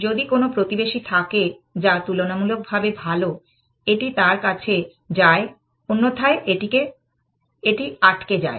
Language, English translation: Bengali, If there is a neighbor which is better, it goes to that, otherwise, it gets stuck